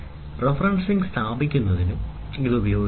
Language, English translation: Malayalam, So, this also can be used for placing the referencing